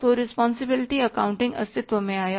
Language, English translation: Hindi, So, responsibility accounting came into being